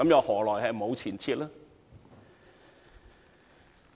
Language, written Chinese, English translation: Cantonese, 何來沒有前設呢？, Why should there be no presupposition?